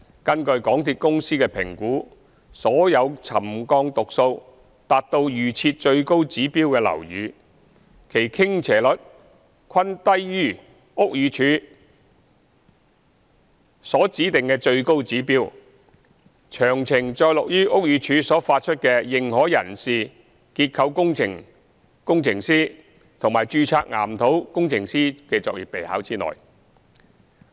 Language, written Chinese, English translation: Cantonese, 根據港鐵公司的評估，所有沉降讀數達到預設最高指標的樓宇，其傾斜率均低於屋宇署所指定的最高指標，詳情載錄於屋宇署所發出的《認可人士、註冊結構工程師及註冊岩土工程師作業備考》之內。, According to the MTRCLs assessment for buildings with subsidence record reaching the highest level the level of tilting is less than that specified by the BD . Relevant details are set out in the Practice Notes for Authorized Persons Registered Structural Engineers and Registered Geotechnical Engineer issued by the BD